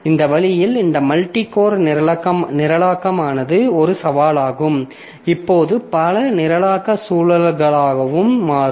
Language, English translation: Tamil, So, this way this multi core programming becomes a challenge and many of the programming environments that we are having now